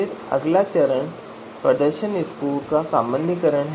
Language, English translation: Hindi, Then the next step is normalization of the performance scores